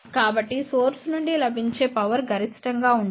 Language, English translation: Telugu, But power available from the source can be optimized